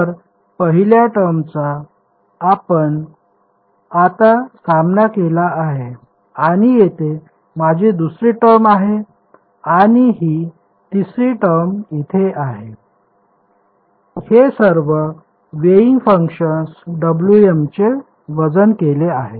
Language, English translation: Marathi, So, first term we have dealt with now I have the second term over here and this third term over here ok, all of it weighted by the weighing function W m ok